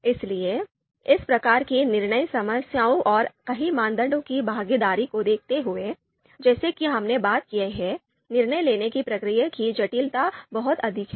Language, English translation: Hindi, So given these types of decision problems and the involvement of several criteria as we have talked about, the complexity of decision making process is much higher